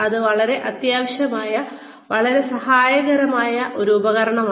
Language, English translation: Malayalam, It is a very essential, very helpful tool, to have